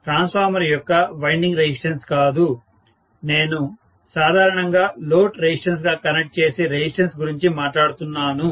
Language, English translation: Telugu, Not resistance of the winding of the transformer, I am talking about resistance which I will connect as the load resistance normally